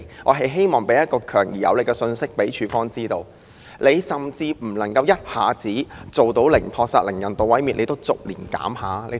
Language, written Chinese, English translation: Cantonese, 我希望向署方發出強而有力的信息，要求即使不能一下子做到零撲殺、零人道毀滅，也要逐年減少。, I want to send a strong and powerful message to AFCD urging for a gradual phase - out of euthanasia year by year even though it is not possible to adopt a no - kill policy and achieve the objective of zero case of euthanasia all at once